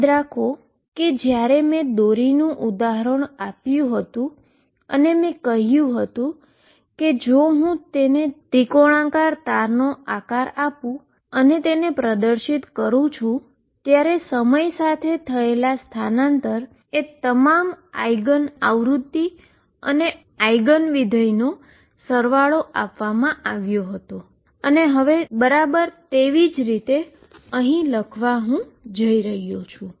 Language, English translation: Gujarati, Recall when I did the string and I said if I give it a shape of triangular string and displays it, the with time the displacement was given as a sum of all the eigen frequencies and eigen functions, in exactly the same manner this would I am going to write